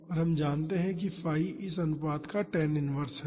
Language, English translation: Hindi, And, we know that phi is tan inverse this ratio